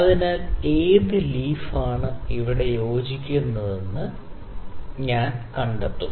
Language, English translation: Malayalam, So, let me try to fit which of the leaf is fitting properly here